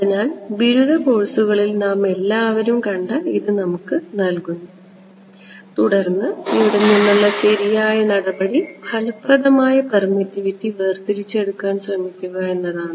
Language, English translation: Malayalam, So, that gives us this which all of us have seen during undergraduate courses and then the standard procedure from here is to try to extract the effective permittivity